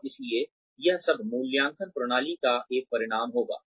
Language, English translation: Hindi, And so, all this would have been a result of the appraisal systems